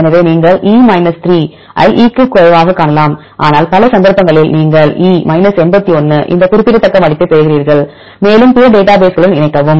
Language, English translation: Tamil, So, you can see e 3 less than 3 significant, but in many cases you get this significant value of e 81 and so on, and link with the other databases